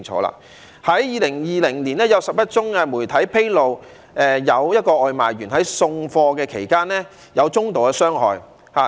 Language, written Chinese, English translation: Cantonese, 在2020年，媒體披露了11宗外賣員在送貨期間受到中度傷害的個案。, In 2020 the media uncovered 11 cases of takeaway delivery workers sustaining medium injuries in the delivery process